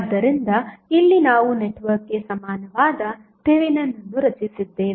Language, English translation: Kannada, So, here we have created Thevenin equivalent of the network